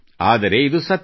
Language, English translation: Kannada, But, this is the truth